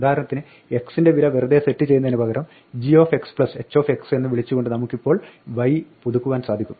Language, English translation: Malayalam, Now we can update y for instance by calling g of x plus h of x rather than just setting it the value x